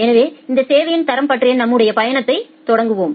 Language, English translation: Tamil, So, let us start our journey on this quality of service concept